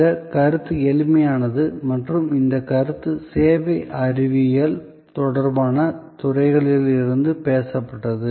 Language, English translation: Tamil, This concept is simple and this concept has been talked about from the disciplines related to service science